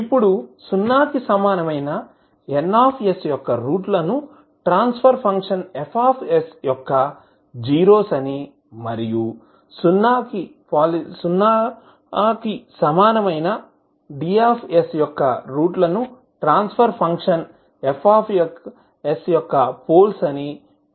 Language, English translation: Telugu, Now, roots of Ns equal to 0 are called the ‘zeroes of transfer function F s’ and roots of Ds equal to 0 polynomial are called the ‘poles of function, transfer function F s’